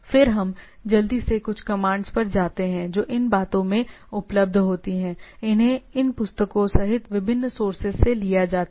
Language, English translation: Hindi, Then we have some quickly go to some commands these are available in the books these are these are taken from different sources including books